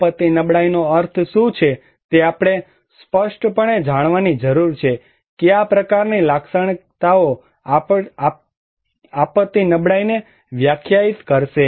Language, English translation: Gujarati, We need to know clearly what is the meaning of disaster vulnerability, what kind of characteristics would define disaster vulnerability